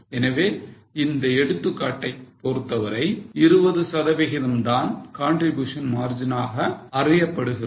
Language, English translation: Tamil, So, 20% is known as contribution margin for this example